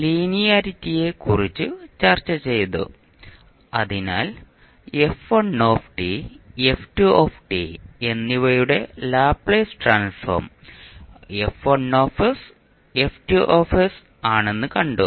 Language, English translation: Malayalam, We discussed about linearity, so in that we demonstrated that if the Laplace transform of f1 t and f2 t are F1 s and F2 s